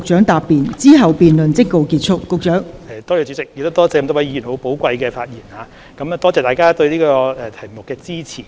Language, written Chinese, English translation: Cantonese, 代理主席，首先多謝各位議員寶貴的發言，亦多謝大家對這個議題的支持。, Deputy President first of all I would like to thank Members for their precious speeches and their support for the issue